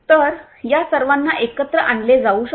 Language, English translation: Marathi, So, all of these could be brought in together